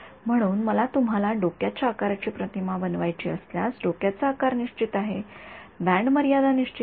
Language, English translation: Marathi, So, if I want to image you know head size, the head size is fixed for this head size the bandlimit is fixed